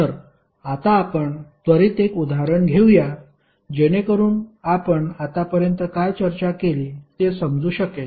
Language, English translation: Marathi, So now let us take one example quickly so that you can understand what we discussed till now